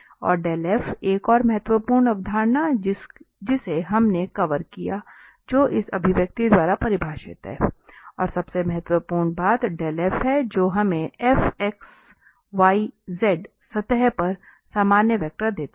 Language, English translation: Hindi, And the grad f, another important concept we have covered which is defined by this expression, and most importantly, that this grad f gives us the normal vector to the surface f x, y, z is equal to C